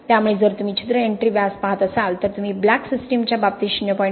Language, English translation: Marathi, So if you look at the pore entry diameter you are talking about diameters close to 0